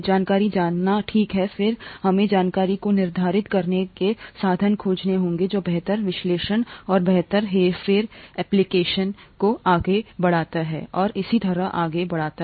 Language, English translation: Hindi, Knowing information is fine, then we will have to find means of quantifying the information which leads to better analysis and better manipulation application and so on so forth